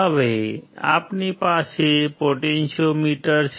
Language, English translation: Gujarati, Now, we have a potentiometer